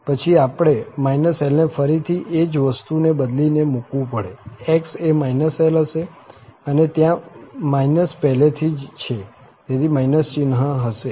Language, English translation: Gujarati, Then, we have minus l, again the same thing, the x will be minus l, so, and then there is a minus already, so, this minus sign will be there